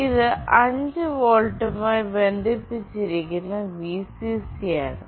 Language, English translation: Malayalam, This one is the Vcc, which is connected to 5 volt